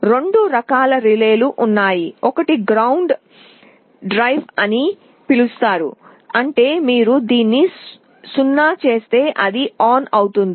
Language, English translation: Telugu, There are two kinds of relays, one is called ground driven means if you make it 0 it will be on